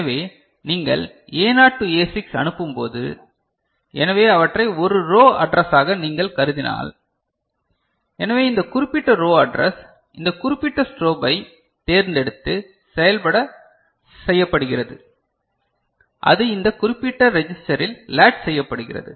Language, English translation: Tamil, So, when you send A naught to A6, right, so if you consider them as a row address so, this particular row address select this particular strobe, is exercised and that is latched into this particular register